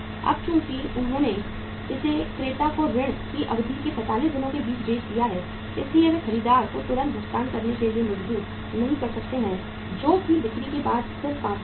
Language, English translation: Hindi, Now since they have sold it for 45 days of the credit period to the buyer they cannot force the buyer to make the payment immediately that is just 5 days after the sales